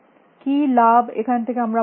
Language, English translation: Bengali, What are the benefits we are getting